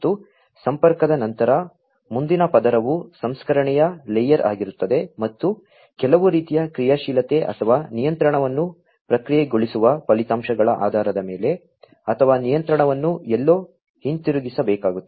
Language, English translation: Kannada, And, after connectivity, the next layer will be the layer of processing, and based on the results of processing some kind of actuation or control or feeding back the control back to somewhere will have to be done